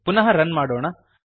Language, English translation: Kannada, Let us run again